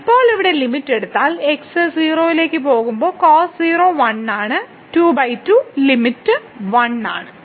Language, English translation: Malayalam, So, now if we take the limit here goes to 0 so, the cos 0 is 1 so, 2 by 2 the limit is 1